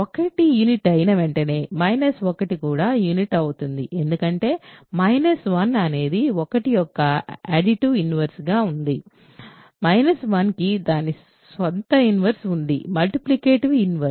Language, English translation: Telugu, As soon as 1 is a unit minus 1 is also unit, because minus 1 exist because there is an additive inverse of 1 we call that minus 1, minus 1 is it is own inverse multiplicative inverse